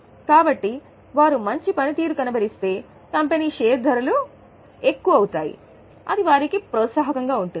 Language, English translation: Telugu, So, they have an incentive that if they are performing well, the prices of the company will, the stock of the company will be high